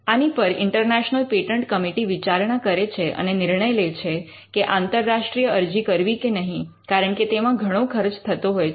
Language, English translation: Gujarati, An international patent committee looks into this and takes the decision on whether to file an international application simply because of the cost involved